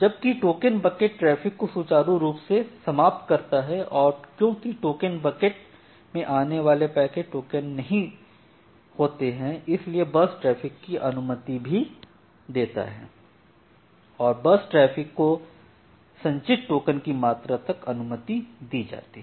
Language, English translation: Hindi, Whereas, token bucket it smooth out traffic and also permit burstiness if there is no incoming packet tokens are get added to the in the token bucket and the bus traffic is permitted up to the amount of token that has been accumulated